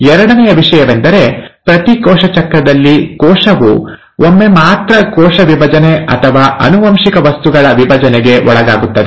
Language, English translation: Kannada, The second thing is in every cell cycle, the cell undergoes cell division or division of the genetic material only once